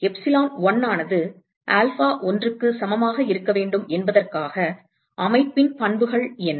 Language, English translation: Tamil, what are the properties of the system in order for epsilon 1 should be equal to alpha 1